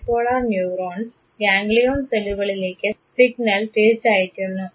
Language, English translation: Malayalam, The bipolar neurons send the signal back to the ganglion cells